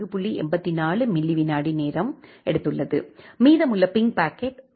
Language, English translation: Tamil, 84 milli second whereas, the remaining ping packet it has took around 0